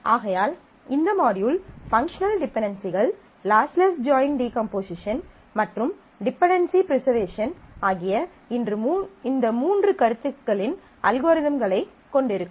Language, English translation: Tamil, Therefore, this module will have these three topics algorithms for functional dependencies, lossless join decomposition and dependency preservation